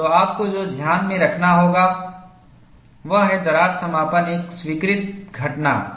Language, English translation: Hindi, So, what you will have to keep in mind is, crack closure is an accepted phenomena